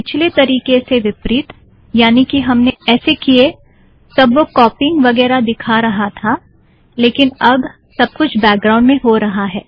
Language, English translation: Hindi, Unlike the previous technique, that is when we went through this, that it showed the copying and so on, now the whole thing happens in the background